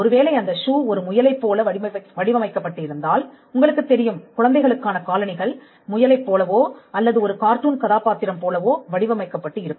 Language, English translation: Tamil, Whereas, if a shoe is designed to look like a bunny or a rabbit you know many children shoes are designed like a rabbit or like a character in a cartoon